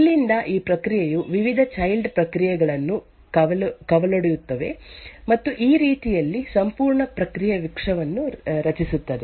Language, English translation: Kannada, From here this process would then fork various child processes and thus in this way creates an entire process tree